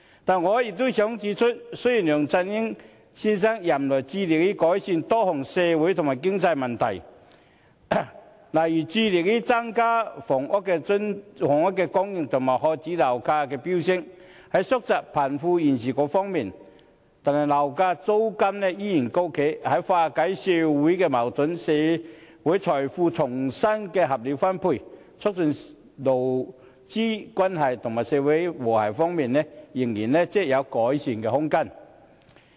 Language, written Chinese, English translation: Cantonese, 但我也想指出，雖然梁振英先生任內致力改善多項社會和經濟問題，如致力增加房屋供應及遏止樓價的飆升，以及縮窄貧富懸殊，但樓價租金依然高企，在化解社會矛盾、社會財富重新合理分配、促進勞資關係及社會和諧方面，仍然有改善空間。, However I also wish to point out that despite the efforts he has made on improving a number of social and economic issues since he took office such as increasing housing supply suppressing the soaring property prices and narrowing the poverty gap property prices and rents remain high and he still needs to work harder on resolving social conflicts redistributing social wealth rationally and promoting labour relations and social harmony